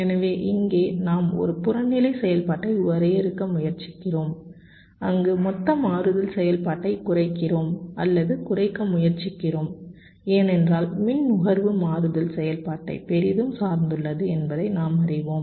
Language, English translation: Tamil, so here we are trying to define an objective function where we are minimizing or trying to minimize the total switching activity, because we know that the power consumption is greatly dependent on the switching activity